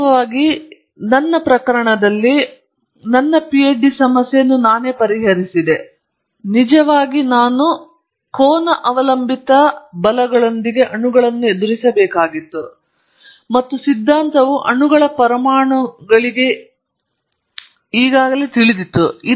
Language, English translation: Kannada, In fact, in my own case my PhD problem, I solved the problem, actually I had to deal with molecules with angle dependent forces, and the theory was already known for molecules mono atomic substances